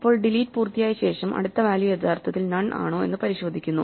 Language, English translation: Malayalam, Now, after the delete is completed we check whether the next value has actually become none